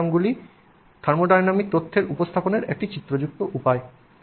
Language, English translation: Bengali, Phase diagrams are a pictorial way of representing the thermodynamic information